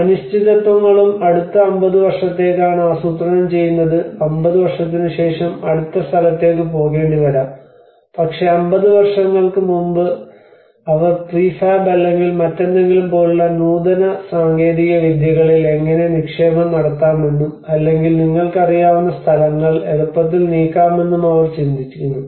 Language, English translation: Malayalam, Also the uncertainties, today yes we are planning for next 50 years we are preparing ourselves maybe after 50 years we may have to move to the next place but then 50 years before itself they are also thinking about how we can invest on advanced technologies like prefab or anything or to easily move the places later on you know